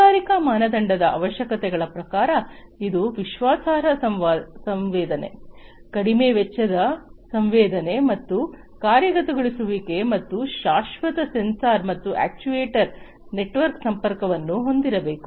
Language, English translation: Kannada, In terms of the requirements for industrial standard, it is required to have reliable sensing, low cost sensing and actuation, and perpetual sensor and actuator network connectivity